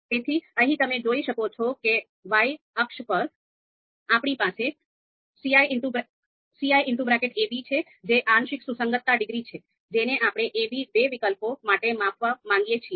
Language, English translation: Gujarati, So here you can see that on the Y axis we have ci a,b which is the partial concordance degree that we want to measure for these two alternatives a, b